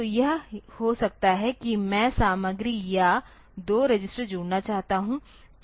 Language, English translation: Hindi, So, it may be that I want to add the content or two registers